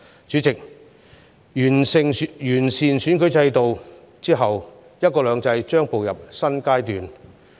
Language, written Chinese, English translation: Cantonese, 主席，完善選舉制度後，"一國兩制"將步入新階段。, President after the improvement of the electoral system one country two systems will move into a new phase